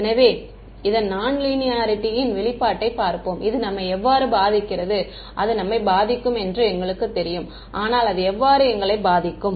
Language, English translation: Tamil, So, let us see the manifestation of this nonlinearity in how does it affect us, we know it is going to affect us, but how it is going to affect us